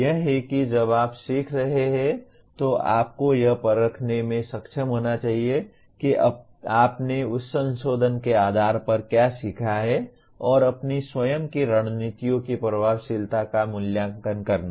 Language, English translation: Hindi, That is while you are learning you must be able to test to what extent you have learnt based on that revise and evaluating the effectiveness of our own strategies